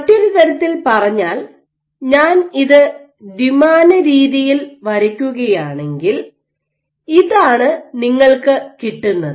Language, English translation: Malayalam, So, in other words if I were to draw it in a 2 D fashion, this is what you will have